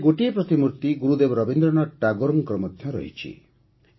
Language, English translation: Odia, One of these statues is also that of Gurudev Rabindranath Tagore